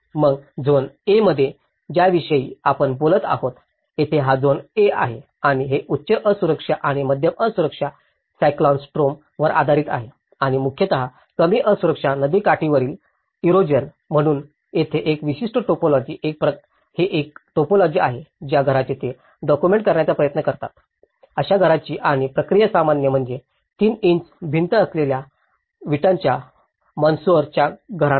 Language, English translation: Marathi, Then in the zone A, where we talk about, here, this is the zone A and it is based on the high vulnerability and medium vulnerability cyclonic storms and mostly, low vulnerability riverbank erosion, so here, this particular typology, this is a typology of a house where they try to document it and this response to brick masonry houses with three inch walls which are most common